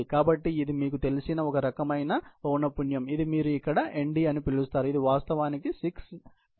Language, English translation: Telugu, So, it is a sort of frequency you know, which can put into place, which you call Nd here, which is actually 60 Tf by Tdv